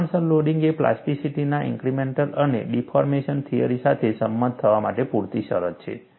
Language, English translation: Gujarati, Proportional loading is a sufficient condition for the incremental and deformation theories of plasticity to agree